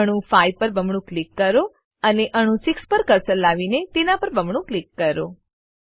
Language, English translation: Gujarati, So, double click on atom 5 and bring the cursor to atom 6 and double click on it